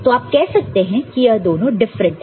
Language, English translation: Hindi, So, obviously, you can say that these two are different